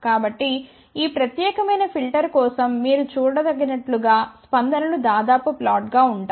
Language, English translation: Telugu, So, as you can see for this particular filter the responses almost flat